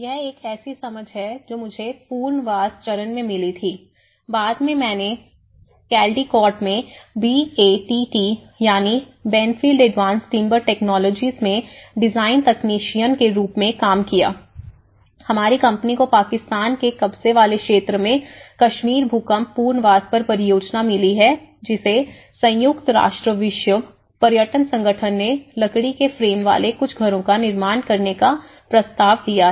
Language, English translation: Hindi, So, this is one of the understanding I had encountered in the rehabilitation stage, later on when I was working as design technician in Benfield advanced timber technologies in Caldicot, our company have got a project on Kashmir earthquake rehabilitation in the Pakistan occupied Kashmir which United Nations World Tourism Organisation have proposed to build some houses, a prefab houses using timber frame houses